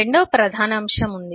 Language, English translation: Telugu, there is a second major element